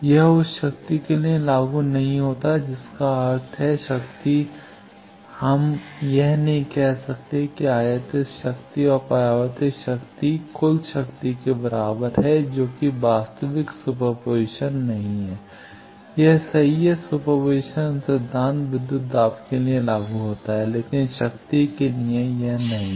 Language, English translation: Hindi, It does not apply for power that means, power we cannot say that incident power plus reflected power is equal to the total power that is not true super position wise it is true super position principle is applied for voltages, but for power it is not